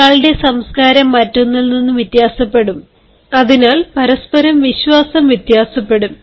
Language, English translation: Malayalam, culture of one will vary from other, so will vary the faith of one from another